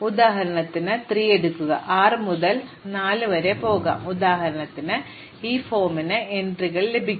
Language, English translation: Malayalam, So, for instance now through 3, I can go from 6 to 4, for example, so I will get entries of that form